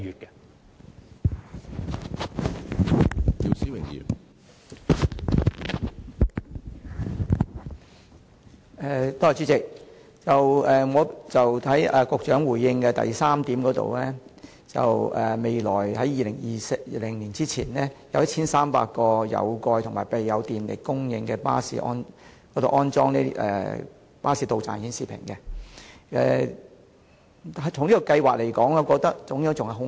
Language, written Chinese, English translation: Cantonese, 局長在主體答覆第三部分指出，將於2020年之前，在約1300個有蓋及備有電力供應的巴士站完成安裝實時巴士到站資訊顯示屏的工作，我認為這個安排尚有改善的空間。, The Secretary pointed out in part 3 of the main reply that the installation works of real - time bus arrival information display panels at about 1 300 covered bus stops with electricity supply is expected to be completed by 2020 but I think there is still room for improvement in this respect